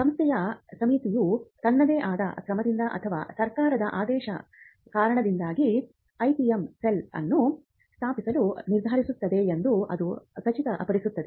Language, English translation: Kannada, The step 1 is to ensure that a committee of the institution either on its own action or due to a government mandate decides to setup the IPM cell